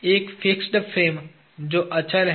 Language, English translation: Hindi, There is a fixed frame that is immovable